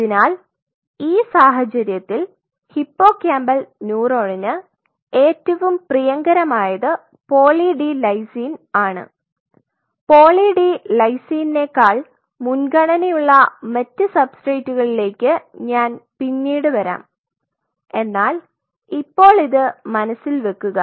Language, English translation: Malayalam, So, in this case for hippocampal neuron one of the favorite choice is poly d lysine I will come to other substrates where it is even much more preferred than poly d lysine, but at this state just keep that in mind